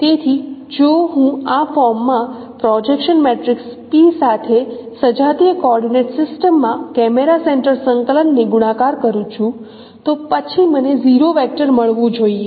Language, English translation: Gujarati, So if I multiply the camera center coordinate in the homogeneous coordinate system with the projection matrix P in this form, then I should get a zero vector